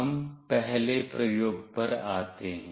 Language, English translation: Hindi, We come to the first experiment